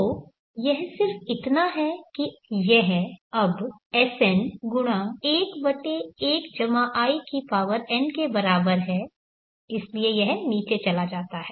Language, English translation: Hindi, So it is just that it is equal to now Sn(1/1+In), so this one goes down